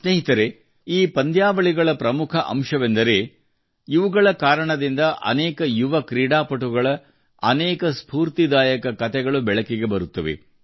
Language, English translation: Kannada, Friends, a major aspect of such tournaments is that many inspiring stories of young players come to the fore